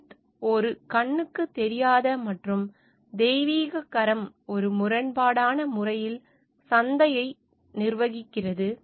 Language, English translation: Tamil, Smith conceived of an invisible and divine hand governing the marketplace in a seemingly paradoxical manner